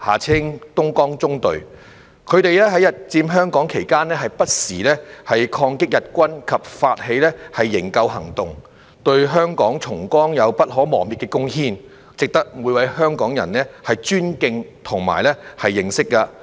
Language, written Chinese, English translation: Cantonese, 他們在日佔香港期間不時抗擊日軍及發起營救行動，對香港重光有不可磨滅的貢獻，值得每位香港人尊敬和認識。, During the Japanese occupation of Hong Kong they fought against the Japanese army and launched rescue operations from time to time making indelible contributions to the liberation of Hong Kong . They deserve to be respected and known by every Hongkonger